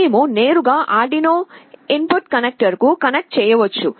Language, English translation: Telugu, We can directly connect to the Arduino input connectors